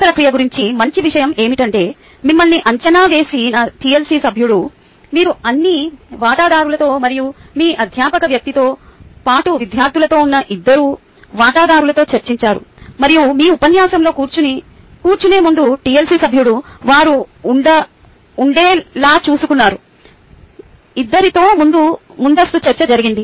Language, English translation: Telugu, the tlc ah member who evaluated you discussed with all the stakeholders and the two stakeholders where you the faculty person, as well as the students, and before going and sitting in your lecture, the tlc member made sure that they had a prior discussion with both the stakeholders